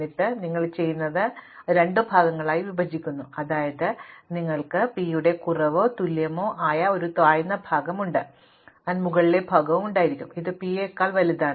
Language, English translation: Malayalam, And then what you do is, you partition this into two parts such that you have a lower part which is less than or equal to p and may be an upper part, which is bigger than p